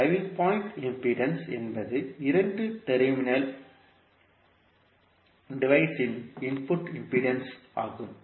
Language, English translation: Tamil, Driving point impedance is the input impedance of two terminal device